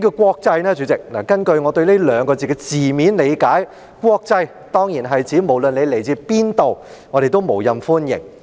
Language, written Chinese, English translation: Cantonese, 根據我對"國際"這兩字的字面理解，"國際"當然是指無論你來自何處，我們都無任歡迎。, As I understand the literal meaning of the term international it clearly means that you will be unreservedly welcomed by us irrespective of where you are from